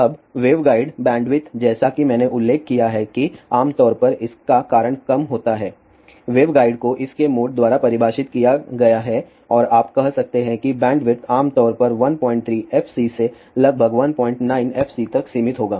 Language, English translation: Hindi, Now, waveguide bandwidth as I mention it is generally low the reason for that is waveguide is defined by its mode and you can say that the bandwidth will be generally limited to about 1